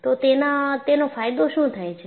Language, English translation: Gujarati, So, what is the advantage